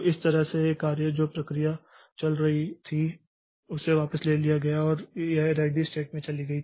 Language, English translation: Hindi, So, that way this job the process that was running here so it is taken back and it goes to the ready state